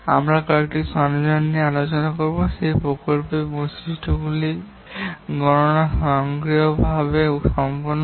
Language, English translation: Bengali, We will discuss some of these tools where the computation of the characteristics of the project are done automatically